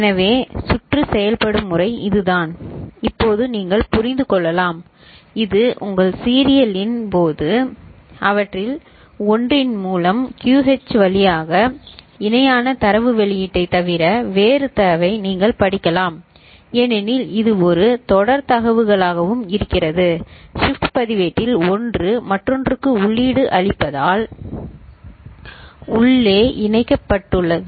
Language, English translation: Tamil, So, this is the way the circuit behaves and now you can understand that, while this is your serial in, through one of them and you can read the data out other than parallel data output through QH also as a serial data out because it is internally connected as a shift register one is feeding the other